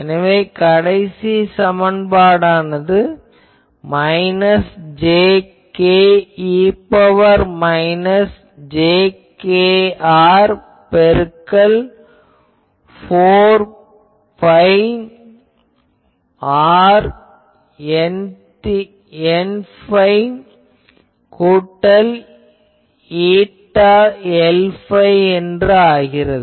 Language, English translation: Tamil, So, I am not going to the final expression will be minus jk e to the power minus jkr by 4 phi r N theta plus eta L phi